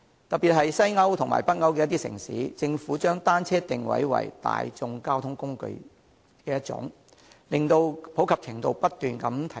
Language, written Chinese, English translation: Cantonese, 特別是在西歐和北歐的一些城市，政府將單車定位為一種大眾交通工具，令其普及程度不斷提高。, In particular in some Western and Northern European cities the Governments have positioned bicycles as a kind of public mode of transport resulting in a continuous rise in its popularity